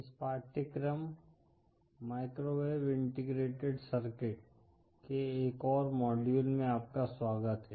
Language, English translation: Hindi, Welcome back to another module of this course, Microwave Integrated Circuits